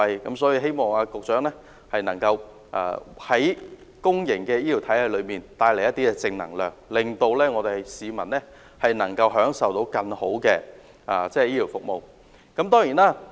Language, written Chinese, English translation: Cantonese, 因此，希望局長能夠為公營醫療體系帶來更多正能量，從而讓市民享受到更好的醫療服務。, Therefore I hope that the Secretary can bring more positive energy to the public health care system so that the public can enjoy better medical services